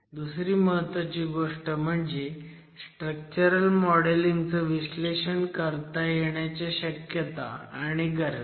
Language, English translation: Marathi, The second important thing that I want to focus on is the possibilities and the requirements of structural modeling and analysis